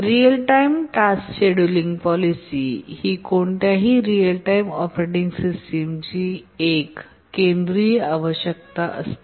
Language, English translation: Marathi, Real time task scheduling policy, this is one of the central requirements of any real time operating systems